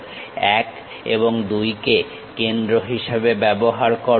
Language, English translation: Bengali, Use 1 and 2 as centers